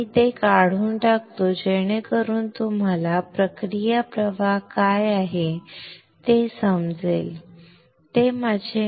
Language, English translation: Marathi, Let me remove it so that you can see what are the process flows